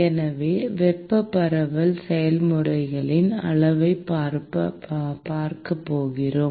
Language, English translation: Tamil, So, we are going to look at quantitation of thermal diffusion process